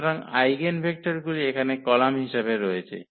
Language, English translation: Bengali, So, placing these eigenvectors here as the columns